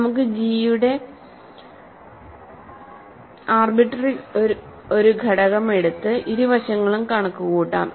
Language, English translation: Malayalam, So, let us take an arbitrary element of G and compute both sides